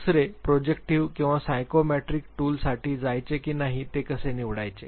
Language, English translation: Marathi, Second, how to I choose whether to go for projective or a psychometric tool